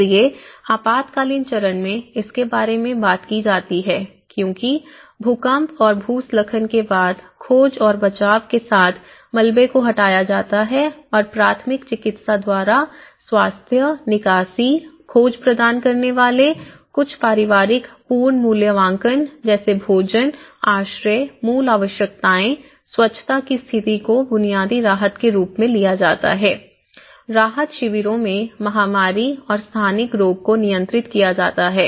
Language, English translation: Hindi, So, in the emergency phase it talks about because after earthquake and landslides removing the debris with search and rescue and the first aids providing health, evacuations, search, some family reunifications have been taken up a relief delivery like food, shelter, the basic needs, the hygiene conditions, the epidemic and endemic disease controls in the relief camps